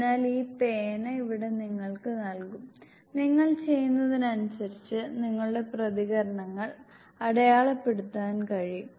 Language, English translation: Malayalam, So here you will be given this pen used to pen in, then you can mark your responses as you move